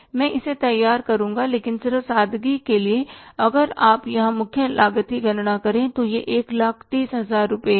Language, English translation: Hindi, So, I will prepare it but just for the sake of simplicity, see if you calculate the prime cost here it works out to be 130,000 rupees, 1 lakh, 30,000 rupees